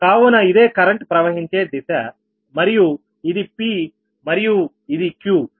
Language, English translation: Telugu, right, so this is the direction of the current and this is p and q